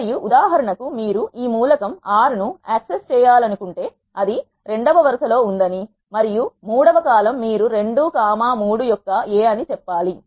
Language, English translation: Telugu, And for example, if you want to access this element 6 you have to say it is in the second row and the third column you have to say A of 2 comma 3 it is give an output 6